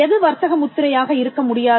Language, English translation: Tamil, What cannot be trademark